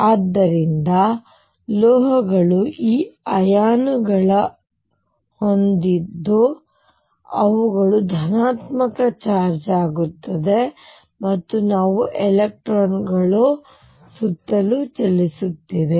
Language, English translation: Kannada, So, metals are going to have these irons which are positively charged that we make a few and these electrons which are delocalized moving all around